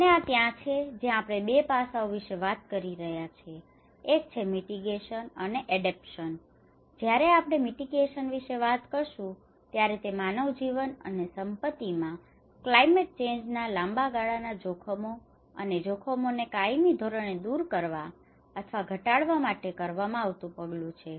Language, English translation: Gujarati, And this is where now we are talking about 2 aspects; one is the mitigation, and adaptation when we talk about mitigation, it is any action taken to permanently eliminate or reduce the long term risks and hazards of climate change to human life and property